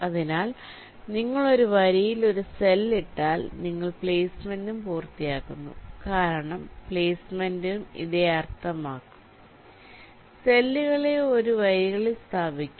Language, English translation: Malayalam, so once you put a cell in one of the rows, well, you are as well completing the placement also, because placement will also mean the same thing: placing the cells in one of the rows